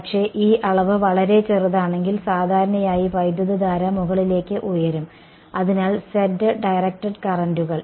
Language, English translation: Malayalam, But, if this dimension is very small mostly the current this is going up, so z directed currents